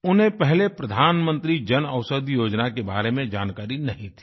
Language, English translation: Hindi, Earlier, he wasn't aware of the Pradhan Mantri Jan Aushadhi Yojana